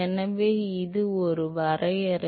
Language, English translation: Tamil, So, that is a definition